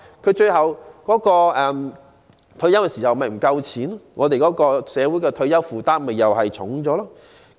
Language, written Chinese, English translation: Cantonese, 到他們退休時豈非不夠錢用，而社會的退休負擔豈非又沉重了？, Would it not be possible that they do not have enough money to spend when they retire and become a heavier burden for society?